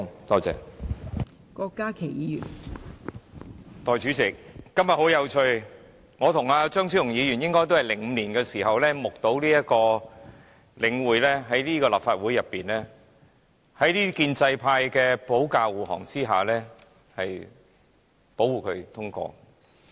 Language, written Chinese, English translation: Cantonese, 代理主席，今天十分有趣，我和張超雄議員應該也是在2005年時，目睹領匯房地產投資信託基金)在這個立法會的建制派保駕護航下獲得通過。, Deputy President it is interesting that both Dr Fernando CHEUNG and I presumably witnessed in 2005 the endorsement given to The Link Real Estate Investment Trust thanks to the effort made by the pro - establishment camp in defending the Government